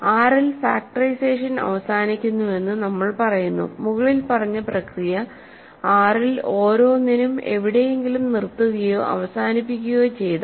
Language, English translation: Malayalam, So, we say that factorization terminates in R we say that factorization terminates in R, if the above process stops or terminates somewhere for every a in R